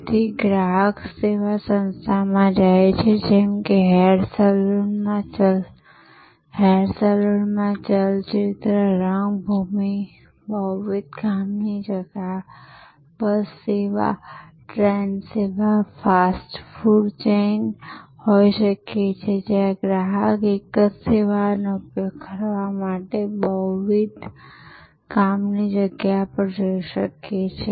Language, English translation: Gujarati, So, customer goes to the service organization like the movie theatre at the hair salon, multiple sites could be bus service, train service, fast food chain, where the customer can go to multiple sites for consuming the same service